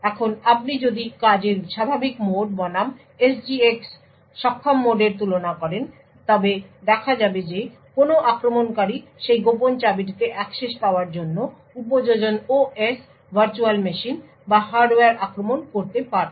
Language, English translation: Bengali, Now if you compare the normal mode of operation versus the SGX enabled mode of operation we see that an attacker could have attacked either the application OS, virtual machine or the hardware in order to gain access to that secret key